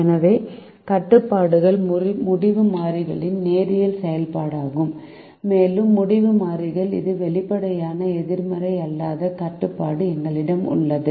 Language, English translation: Tamil, so the constraints or linear functions of the decisions variables and we have an explicit non negativity restriction on the decision variables